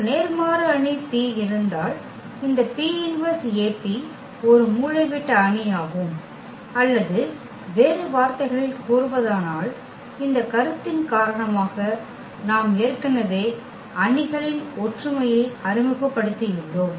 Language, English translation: Tamil, If there exists an invertible matrix P such that this P inverse AP is a diagonal matrix or in other words, because this concept we have already introduced the similarity of the matrices